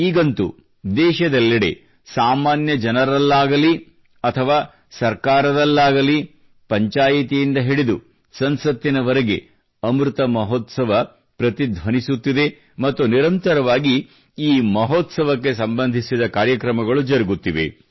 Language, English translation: Kannada, And now, throughout the country, whether it's common folk or governments; from Panchayats to Parliament, the resonance of the Amrit Mahotsav is palpable…programmes in connection with the Mahotsav are going on successively